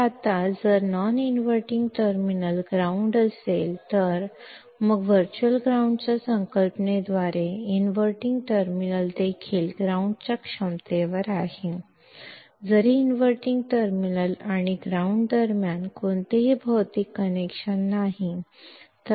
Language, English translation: Marathi, So, now if the non inverting terminal is grounded; then by the concept of virtual ground the inverting terminal is also at ground potential; though there is no physical connection between the inverting terminal and ground